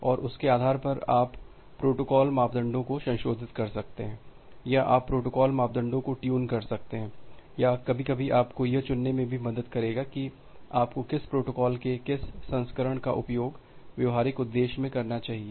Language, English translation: Hindi, And based on that you can modify the protocol parameters or you can tune the protocol parameters or some time it will also help you to choose that which variant of protocol you should use in a practical purpose